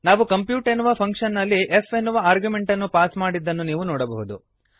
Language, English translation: Kannada, You can see that we have passed the argument as f in function compute